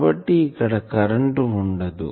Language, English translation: Telugu, So, in this point there are no current